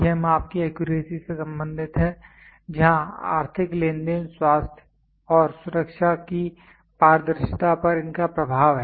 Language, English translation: Hindi, It is concerned with the accuracy of measurement where these have influence on the transparency of economical transactions, health and safety